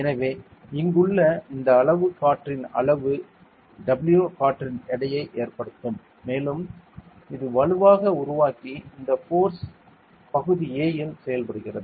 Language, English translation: Tamil, So, this much volume of air over here will cause a weight of W air and this will create a forcefully and this force acts on this area A